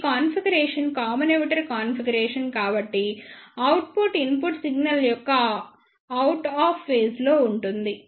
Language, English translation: Telugu, Since this configuration is common emitter configuration so the output will be in opposite phase to that of the input signal